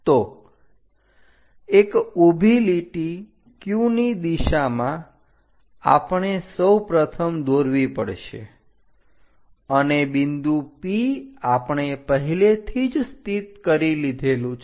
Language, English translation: Gujarati, So, a vertical line all the way up in the Q direction first we have to draw and point P we have already located